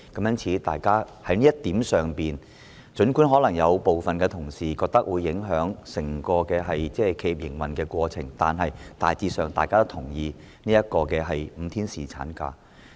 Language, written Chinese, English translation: Cantonese, 因此，就這一點，儘管有部分同事認為可能會影響整個企業的營運過程，但大致上大家也同意5天侍產假。, Therefore on this point although some colleagues hold the view that it may affect the operation of the entire enterprise generally all agree to the provision of five - day paternity leave